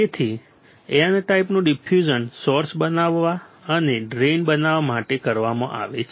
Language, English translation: Gujarati, So, N type diffusion is done to form source and to form drain